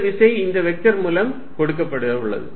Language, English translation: Tamil, The force is going to be given by this vector